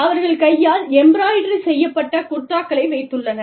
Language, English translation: Tamil, And, they have, hand embroidered kurtas